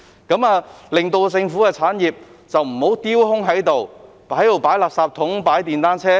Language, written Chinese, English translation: Cantonese, 這樣政府的產業便不會丟空，只用來擺放垃圾桶及電單車。, As such government properties will not be left vacant or used only for storing refuse bins and motorcycles